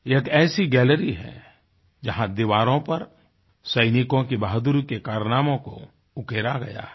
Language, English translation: Hindi, It is a gallery whose walls are inscribed with soldiers' tales of valour